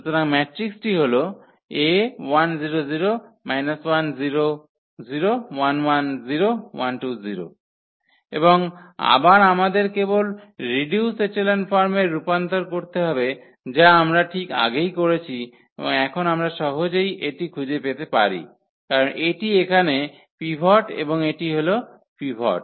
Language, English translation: Bengali, And again we need to just convert into the reduced echelon form which we have done just before and now we can easily find it out because this is the pivot here and this is the pivot